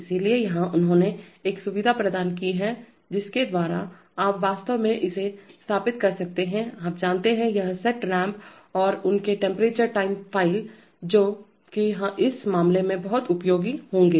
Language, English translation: Hindi, So here they have provided a facility by which you can actually set up this, you know, this set point ramps and their temperature time profiles, that would, that would be very useful in this case